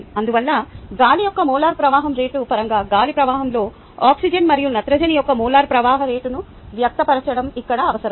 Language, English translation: Telugu, now, can you express the molar flow rates of oxygen and nitrogen in the air stream in terms of the molar flow rate of air